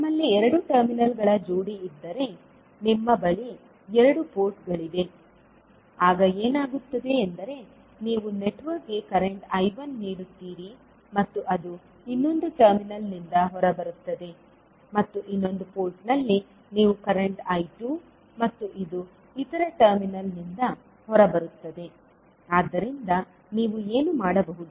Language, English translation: Kannada, If you have pair of two terminals means you will have two ports, then what will happen that you will give current to the network say I1 and it will come out from the other terminal and at the other port you will give current I2 and it will come out from the other terminal, so what you can do you